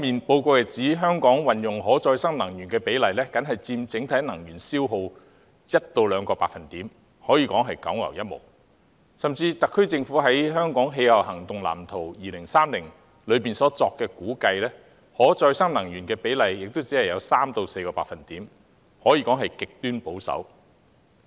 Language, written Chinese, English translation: Cantonese, 報告亦指出，香港使用可再生能源的比例僅佔整體能源消耗 1% 至 2%， 可謂九牛一毛，甚至特區政府在《香港氣候行動藍圖 2030+》中所作的估計，使用可再生能源的比例亦只有 3% 至 4%， 可說極其保守。, The report also pointed out that the proportion of renewable energy consumption to total energy consumption in Hong Kong stands at an extreme low rate of 1 % to 2 % . Even according to the estimate of the SAR Government in Hong Kongs Climate Action Plan 2030 the proportion of renewable energy consumption stands at an extremely conservative rate of 3 % to 4 %